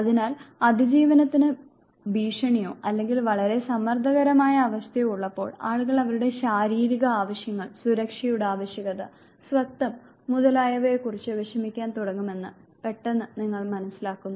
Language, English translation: Malayalam, So, suddenly you realize that in the state of threat to survival or extremely stressful condition, people start worrying about their physiological needs need for security belongingness and so forth